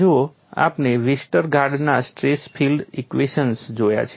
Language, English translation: Gujarati, See we have looked at Westergaard stress field equations